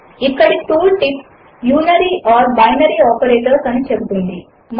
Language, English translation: Telugu, The tool tip here says Unary or Binary Operators